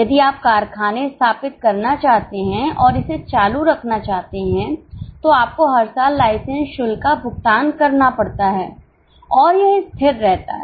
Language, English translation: Hindi, If we want to establish factory and keep it running, you have to pay license fee every year